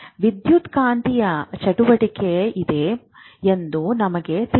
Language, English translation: Kannada, But obviously there must be some electromagnetic activity